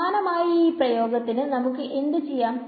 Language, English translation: Malayalam, Similarly now for this expression, what can we do